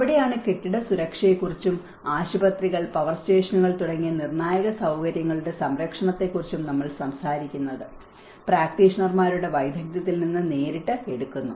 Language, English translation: Malayalam, That is where we talk about the building safety and the protection of critical facilities such as hospitals and power stations and draws directly from the expertise of the practitioners